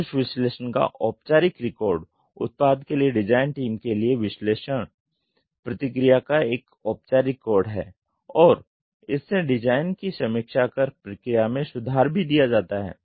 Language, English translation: Hindi, The formal record of that analysis it is a formal record of analysis feedback to the design team for product and process improvement is also given out of this design review